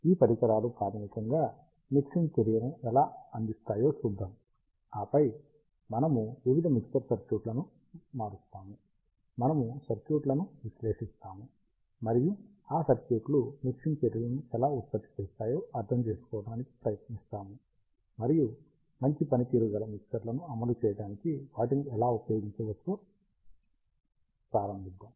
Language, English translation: Telugu, We will see how these devices basically provide mixing action, and then we will switch to various mixer circuits, we will analyse the circuits, and try to understand how this circuits produce mixing actions, and how they can be used to implement a good performance mixer, let us begin